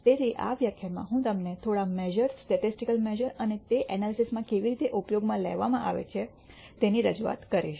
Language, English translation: Gujarati, So, in this lecture I will introduce you to a few measures statistical measures and how they are used in analysis